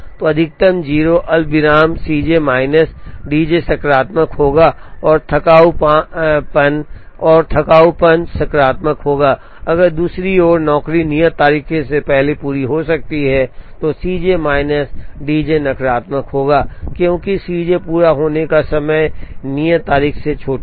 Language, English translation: Hindi, So, maximum of 0 comma C j minus D j will be positive and tardiness will be positive, if on the other hand, the job completes ahead of the due date, then C j minus D j will be negative, because C j the completion time will be smaller than the due date